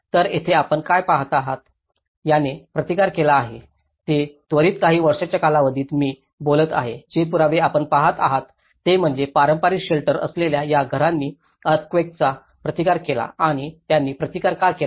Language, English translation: Marathi, So, here what you see, these have resisted, these are some of immediate I am talking about within a span of one year, the evidences which you are seeing is that these houses with traditional shelter forms have resisted the earthquakes and why they have resisted because that is where the structural form within